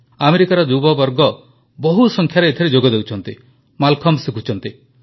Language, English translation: Odia, A large number of American Youth are joining and learning Mallakhambh